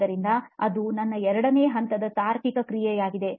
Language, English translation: Kannada, So that was my second level of reasoning